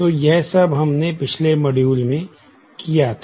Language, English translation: Hindi, So, this is what we did in the last module